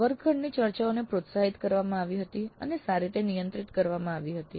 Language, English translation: Gujarati, Classroom discussions were encouraged and were well moderated